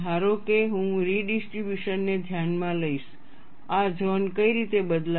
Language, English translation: Gujarati, Suppose, I consider the redistribution, what way these zones change